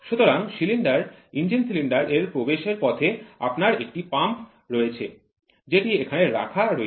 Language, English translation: Bengali, So, the inlet which is to be given to the cylinder engine cylinder you have a pump which is there